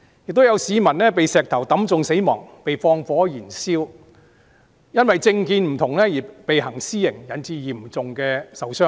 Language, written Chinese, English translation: Cantonese, 又有市民被石頭擊中死亡、被縱火燃燒，他們都因為政見不同而被行私刑，因而嚴重受傷。, Some members of the public were killed by stones hurled and set on fire . These people are subjected to vigilante attacks and suffer serious injuries because of their different political stances